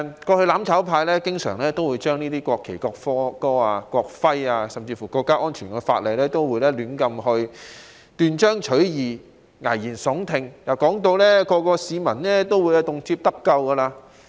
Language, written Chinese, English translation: Cantonese, 過去"攬炒派"經常就有關國旗、國歌、國徽甚至國家安全的法例，胡亂地斷章取義、危言聳聽，將之形容為可讓每位市民動輒得咎的工具。, In the past the mutual destruction camp often casually interpreted the laws on national flag national anthem national emblem and even national security out of context and made scaremongering remarks suggesting that they were tools which would easily incriminate each one of us anytime